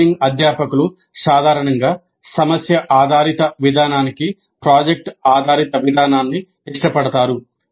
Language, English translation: Telugu, Engineering educators generally seem to prefer project based approach to problem based one